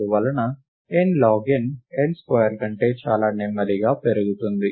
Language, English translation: Telugu, And therefore, n log n grows much more slowly than n square